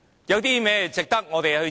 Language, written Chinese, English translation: Cantonese, 有甚麼值得我們致謝？, What has the Government done that deserves our thanks?